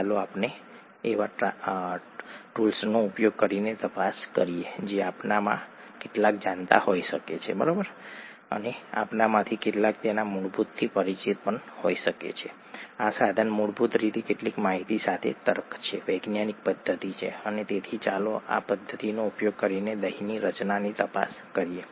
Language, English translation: Gujarati, Let us investigate this just by using the tools that some of us might know, and some of us might be familiar with its basic, the tool is basically logic with some information, the scientific method, and so let us investigate curd formation using this method